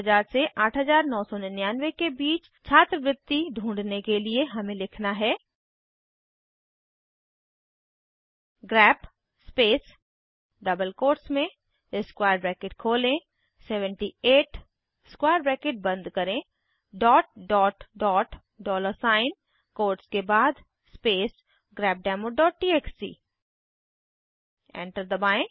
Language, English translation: Hindi, To find stipends between 7000 to 8999 we have to write: grep space within double quotesopening square bracket 78 closing square bracket ...dollar sign after the quotes space grepdemo.txt Press Enter The output is displayed